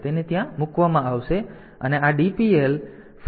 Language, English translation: Gujarati, So, it will be put there and this DPL